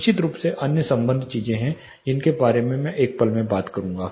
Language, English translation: Hindi, Of course there are other associated things I will talk about in a moment